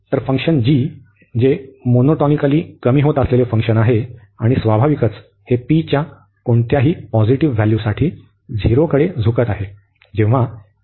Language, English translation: Marathi, The other function g, which is monotonically decreasing function and naturally this tends to 0 as x tends infinity for any value of p positive